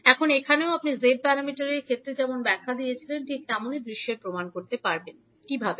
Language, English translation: Bengali, Now here also you can prove the particular scenario in the same way as we explained in case of Z parameters, how